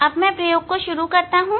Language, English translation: Hindi, here in experiment